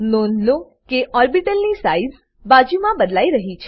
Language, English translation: Gujarati, Notice that the size of the orbital alongside, has changed